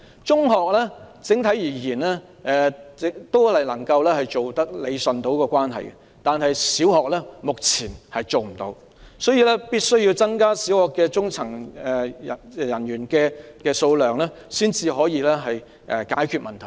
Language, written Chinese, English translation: Cantonese, 整體而言，中學能夠理順這個關係，但小學目前做不到，所以必須增加小學的中層人員數目才能解決這個問題。, Generally speaking secondary schools manage to straighten out this relationship but primary schools cannot do so at the moment . So it is necessary to increase medium rank teaching posts in primary schools to solve this problem